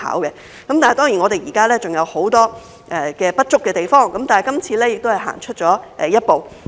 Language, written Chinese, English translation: Cantonese, 雖然現在還有很多不足的地方，但這次修例亦是走出一步。, Although there are still many inadequacies this amendment is a step forward